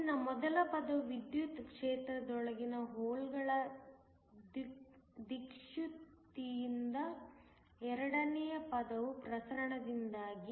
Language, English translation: Kannada, So, the first term is due to drift of the holes within an electric field, the second term is due to diffusion